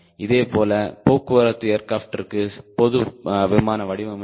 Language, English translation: Tamil, right, it is like for transport aircraft, general aviation design